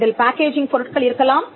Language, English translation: Tamil, It can include packaging material